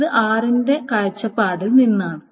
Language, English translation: Malayalam, So this is about relation r